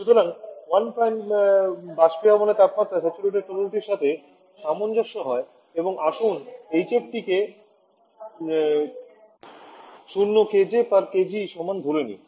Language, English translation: Bengali, So 1 Prime correspond to saturated liquid at the evaporation temperature and let us assume hf corresponding to T to be equal 0 kilo joule per kg